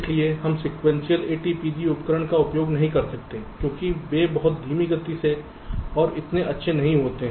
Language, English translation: Hindi, so we cannot use a sequential a, t, p g tool because they are very slow and not so good